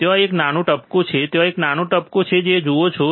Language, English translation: Gujarati, there is a small dot there is a small dot you see